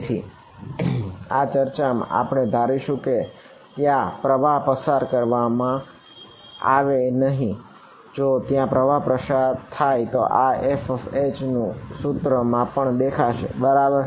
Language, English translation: Gujarati, So, in this discussion we are assuming there is no current supplied if there were a current then it would also appear in this F H equation ok